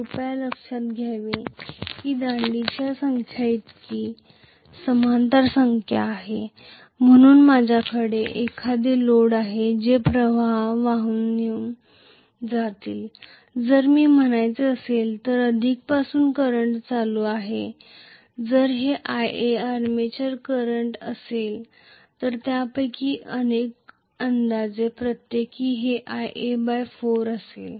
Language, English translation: Marathi, So this is the arrangement of a lap winding please note that, there are as many parallel number of paths as the number of poles, so I am going to have the load carrying a current which is corresponding to if I say, from plus the current is going if this is Ia the armature current each of them will be approximately Ia by 4